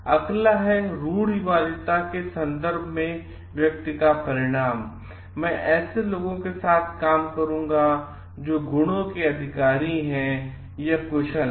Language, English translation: Hindi, And next is the outcome of the person in terms of stereotype like, I will be functioning with people who possess certain qualities